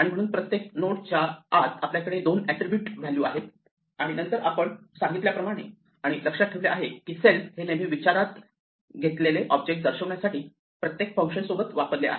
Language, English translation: Marathi, So, inside each node we have 2 attributes value and next as we said and remember that self is always used with every function to denote the object under consideration